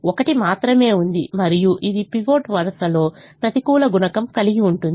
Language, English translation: Telugu, there is only one and it has an negative coefficient in the pivot row